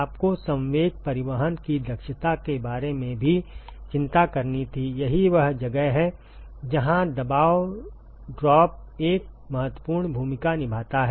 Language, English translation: Hindi, You also had to worry about the efficiency of momentum transport, that is where the pressure drop plays an important role